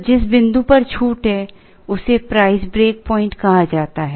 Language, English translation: Hindi, So, the point at which there is a discount is called the price break point